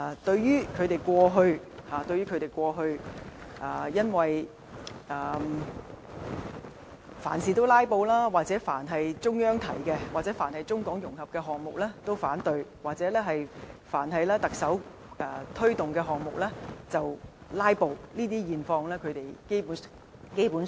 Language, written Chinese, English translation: Cantonese, 對於他們過去凡事"拉布"，凡是中央提出的事宜，或涉及中港融合的項目均反對，或凡是特首推動的項目就"拉布"，基本上他們不會提及這些。, Basically they will not touch upon their indiscriminate filibusters on almost everything or their objections against mostly every issue proposed by the Central Authorities or project involving Mainland - Hong Kong integration or their comprehensive filibusters against projects implemented by the Chief Executive